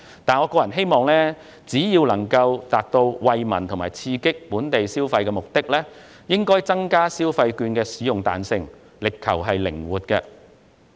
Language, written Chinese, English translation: Cantonese, 不過，我個人希望，為達到惠民及刺激本地消費的目的，當局應該增加消費券的使用彈性，力求靈活。, Nonetheless I personally hope that in order to benefit the people and boost local consumption the authorities should allow more flexibility in the use of the vouchers